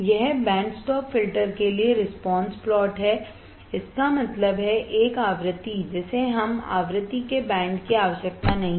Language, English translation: Hindi, This is the plot for response plot for band stop filter; that means, a frequency that we do not require band of frequency